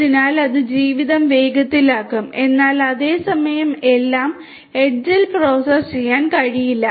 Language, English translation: Malayalam, So, that will make the life faster, but at the same time you know not everything can be processed at the edge